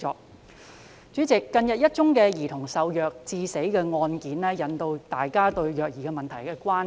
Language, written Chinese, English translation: Cantonese, 代理主席，近日一宗兒童受虐致死的案件，引起大家對虐兒問題的關注。, Deputy President a recent case in which a child died due to abuse has aroused public concern about the child abuse problem